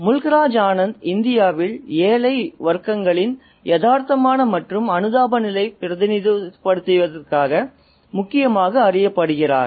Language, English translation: Tamil, And Mukraaj Anand is specifically known for his realistic and sympathetic representation of the poorer classes in India